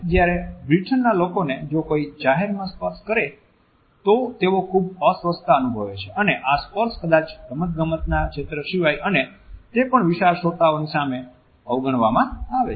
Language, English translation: Gujarati, Whereas people in the Britain feel very uncomfortable if somebody touches them in public and this touch is absolutely avoided except perhaps on the sports field and that too in front of a large audience